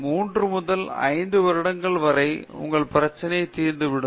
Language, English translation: Tamil, 3 to 5 years down the line, your problem will be well settled problem